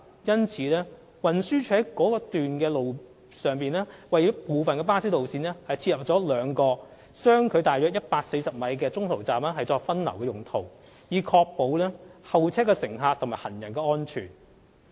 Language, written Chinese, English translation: Cantonese, 因此，運輸署在該處為部分巴士路線設立了兩個相距約為140米的中途站作分流之用，以確保候車乘客和行人的安全。, Since the pavement along the eastbound section of the road is relatively narrow to cater for the heavy flow of waiting and interchanging passengers there two en - route bus stops with a spacing of approximately 140 m are provided for diverting passengers to ensure the safety of waiting passengers and pedestrians